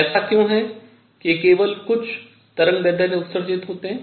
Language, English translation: Hindi, Why is it that only certain wavelengths are absorbed